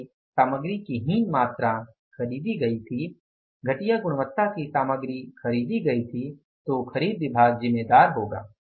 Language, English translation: Hindi, If the inferior quantity of the material was purchased, the inferior quality of the material was purchased, then the purchase department will be responsible